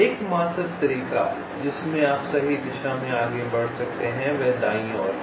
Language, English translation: Hindi, the only way in which you can move in the right direction is towards right